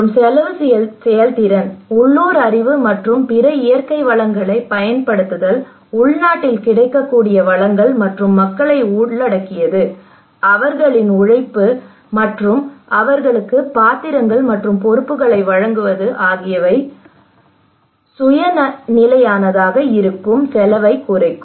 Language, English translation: Tamil, And cost effective, using local knowledge and other natural resources locally available resources and involving people their labour their roles and responsibilities would effectively reduce the cost that would be self sustainable